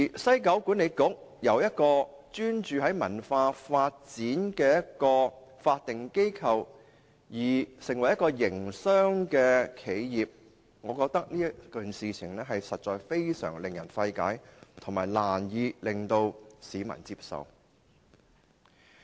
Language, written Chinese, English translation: Cantonese, 西九管理局由一個專注於文化發展的法定機構變成一個營商企業，我認為實在令人費解，市民也難以接受。, By then WKCDA a statutory body specialized in cultural development will become a business enterprise . I think this is really mind - boggling and unacceptable to the public